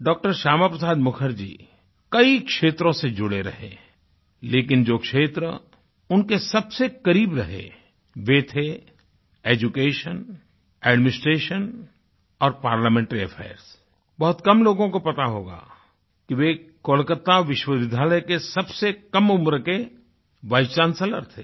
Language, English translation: Hindi, Shyama Prasad Mukherjee was associated with many fields, but the areas which were closest to his heart were education, administration and parliamentary affairs, very few people would know that he was the youngest vicechancellor of the University of Calcutta at merely 33 years of age